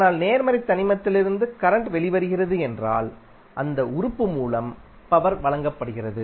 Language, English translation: Tamil, But, if the current is coming out of the positive element the power is being supplied by that element